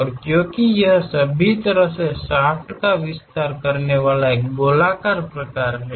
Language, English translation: Hindi, And because it is having a circular kind of thing extending all the way shaft